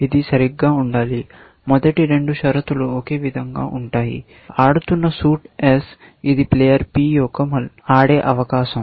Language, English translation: Telugu, This should be right as saying, the first two conditions are the same that the suit being played is s; it is a turn of player P